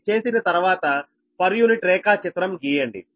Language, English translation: Telugu, once this is done, then you draw the per unit diagram right